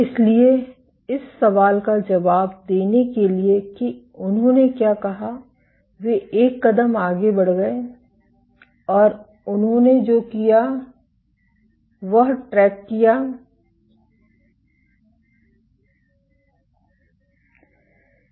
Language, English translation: Hindi, So, to answer this question what they did say they went one step further and what they did was they tracked